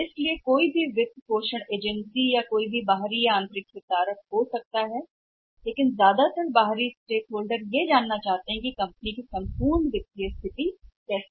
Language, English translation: Hindi, So, it means any funding agency or any external stakeholders maybe the internals also but large with external stakeholders they can get to know that what is the overall financial health of the company